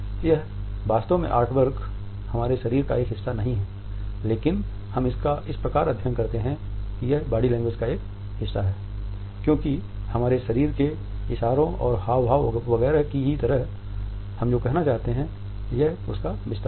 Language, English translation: Hindi, This is not exactly a part of our body, but at the same time we study it is a part of body language because like our body gestures and postures etcetera, it is an extension of what we want to say